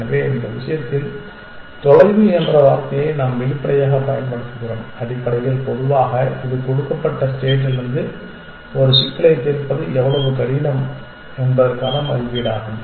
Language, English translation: Tamil, So, we are using the term distance explicitly here in this case essentially in general it is an estimate of how hard it is to solve a problem from the given state